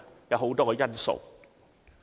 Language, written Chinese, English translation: Cantonese, 有很多因素。, Numerous factors are involved